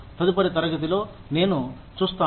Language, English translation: Telugu, I will see, in the next class